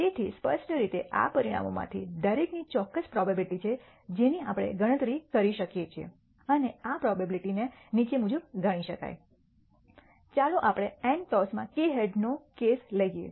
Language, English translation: Gujarati, So, clearly each of these outcomes have a certain probability which we can compute and this probability can be computed as follows: let us take the case of k heads in n tosses